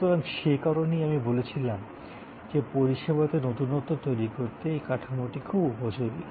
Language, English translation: Bengali, So, that is why I said that this model is very good to create service innovation